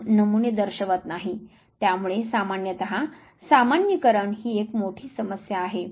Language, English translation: Marathi, Because you do not representative samples so usually generalization is a big problem